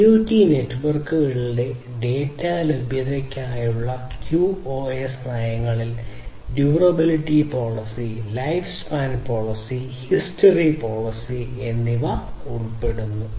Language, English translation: Malayalam, QoS policies for data availability in IoT networks include durability policy, life span policy and history policy